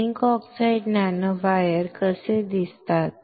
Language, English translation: Marathi, How zinc oxide nanowires look like